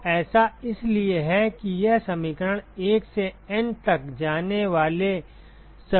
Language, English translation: Hindi, So, this is so this equation is valid for all i going from 1 to N ok